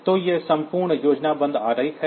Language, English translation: Hindi, So, this is the totally logical diagram